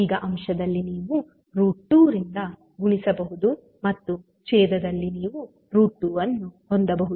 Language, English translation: Kannada, Now, in numerator you can multiply by root 2 and in denominator you can have root 2